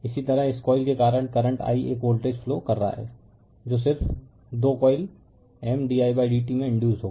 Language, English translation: Hindi, Similarly because of this coilthat current I is flowing a voltage will be induced in just 2 coil M d i by d t